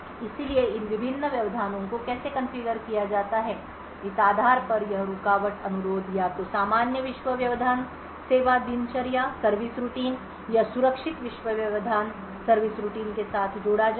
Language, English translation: Hindi, So, based on how these various interrupts are configured this interrupt request would be either channeled to the normal world interrupt service routine or the secure world interrupt service routine